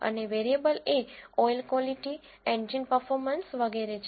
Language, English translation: Gujarati, And the variables are oil quality, engine performance and so on